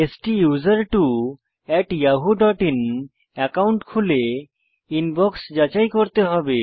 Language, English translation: Bengali, We have to open the STUSERTWO@yahoo.in account and check the Inbox